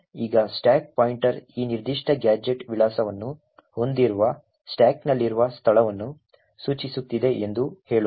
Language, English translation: Kannada, Now let us say that the stack pointer is pointing to a location in the stack which contains this particular gadget address